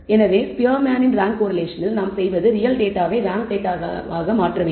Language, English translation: Tamil, So, in the Spearman’s rank correlation what we do is convert the data even if it is real value data to what we call ranks